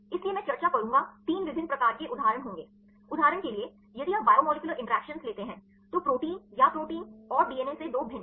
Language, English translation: Hindi, So, I will discuss would be 3 different types of examples; for example, if you take the biomolecular interactions therefore, 2 different to proteins or the protein and DNA